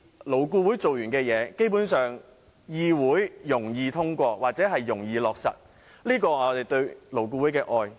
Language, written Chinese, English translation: Cantonese, 勞顧會完成的事情，在議會上會較易通過或落實，這是我對勞顧會的愛。, Proposals having passed through LAB will more likely be passed by this Council and be implemented . That is my reason for loving LAB